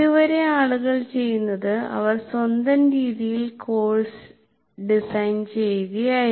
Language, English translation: Malayalam, Till now what people have been doing is they are designing the course in their own way